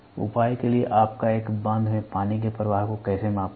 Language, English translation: Hindi, For measure how do you measure the flow of water in a dam